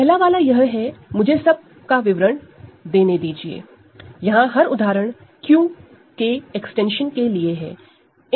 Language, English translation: Hindi, First one is let us list all; so, every example here is for extensions of Q